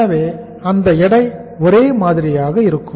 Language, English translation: Tamil, So that weight will be same